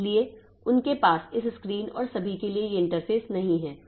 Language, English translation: Hindi, So, they don't have these interfaces for this screen and all